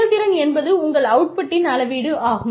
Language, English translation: Tamil, Performance, is a measure of your output